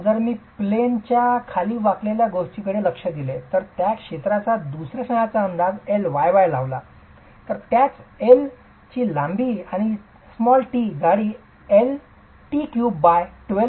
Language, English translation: Marathi, If I were to look at out of out of plane bending and estimate the second moment of area IYY, same L length and T thickness would be L T cube by 12